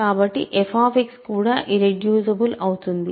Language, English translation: Telugu, So, f X is also irreducible